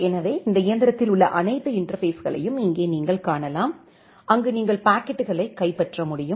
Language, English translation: Tamil, So, here you can see all the interfaces which are there in this machine, where you will be able to capture the packets